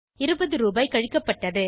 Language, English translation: Tamil, Cash deducted 20 rupees